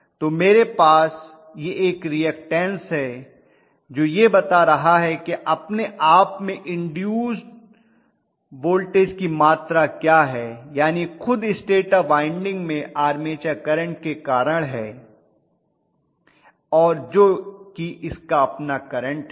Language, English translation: Hindi, So I am going to have a reactance which is specifying what is the amount of voltage induced in its own self that is the stator winding itself which is due to the armature current that is its own current